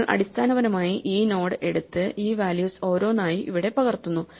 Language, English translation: Malayalam, So, we just take basically this node and copy these values one by one here